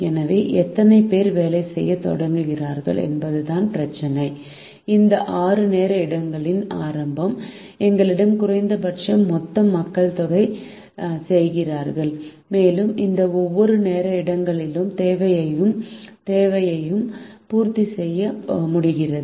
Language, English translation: Tamil, so the problem is how many people start working at the beginning of these six time slots, such that we have minimum total number of people working and we are able to meet the requirement or demand of each of these time slots